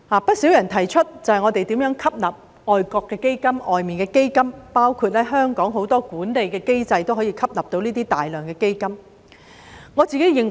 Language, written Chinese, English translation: Cantonese, 不少人提出應該吸納外國基金，包括香港很多管理機制都可以吸入大量基金。, Many people have suggested that foreign funds should be absorbed by all means including utilizing the management mechanisms in Hong Kong under which large amounts of funds can be absorbed